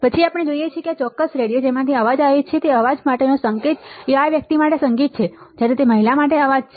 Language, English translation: Gujarati, And we see that signal to noise the sound that comes out from this particular radio right is a is a music for this guy, while it is a noise for this women right